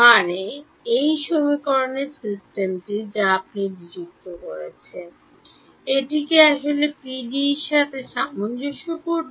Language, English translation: Bengali, Means this system of equations, which is I have discretized, is it consistent with the actual PDEs